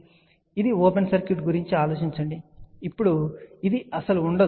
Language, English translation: Telugu, So, this is the open circuit think about, now this does not exist at all